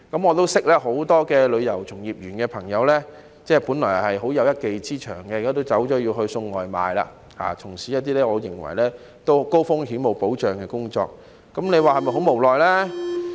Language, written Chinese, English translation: Cantonese, 我認識很多從事旅遊業的朋友，他們本來有一技之長，但現在也轉行送外賣，轉而從事一些我認為是高風險、沒保障的工作，大家說是否非常無奈呢？, I know many friends in the tourism industry who used to have good skills in the profession but have now also worked as a food courier a job I consider to be high - risk and without protection . Honourable colleagues do you think it is very helpless?